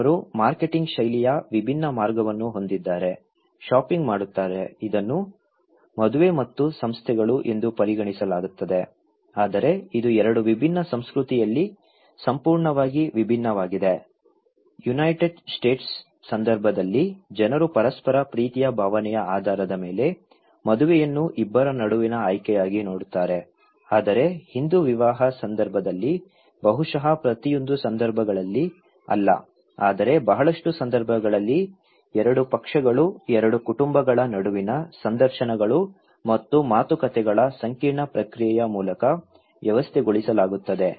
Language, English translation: Kannada, But they have a different way of marketing style, doing shopping; this is considered to be an marriage and institutions but it is completely different in 2 different culture like, in case of United States people tend to view marriage as a choice between two people based on mutual feeling of love but in case of Hindu marriage, maybe in not in every cases but in a lot of cases is arranged through an intricate process of interviews and negotiations between two parties, two families, right